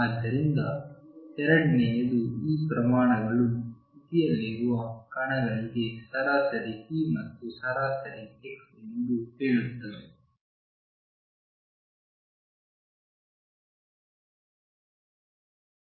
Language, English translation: Kannada, So, second tells you that these quantities are the average p and average x for particle in state of psi